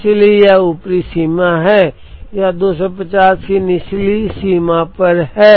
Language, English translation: Hindi, So this is on the upper limit it is 250 on the lower limit it is 230